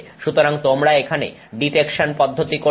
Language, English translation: Bengali, So, you do the detection process here